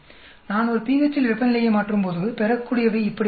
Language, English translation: Tamil, When I change temperature at one pH the yield goes up like this